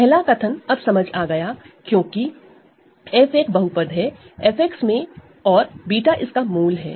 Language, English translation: Hindi, The first statement is now clear right, because f is a polynomial in capital F X and beta is a root of it